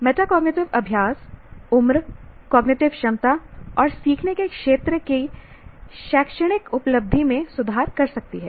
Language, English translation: Hindi, Metacognitive practices can improve academic achievement across a range of ages, cognitive abilities and learning domains